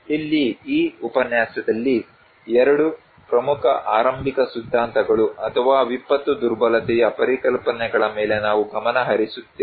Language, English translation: Kannada, Here, in this lecture, we will focus on these two such prominent early theories or concepts on disaster vulnerability